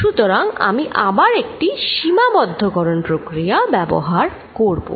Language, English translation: Bengali, So, again I am going to use a limiting process